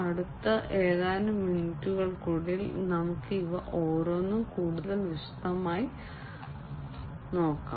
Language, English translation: Malayalam, Say let us look at each of these individually in little bit more detail in the next few minutes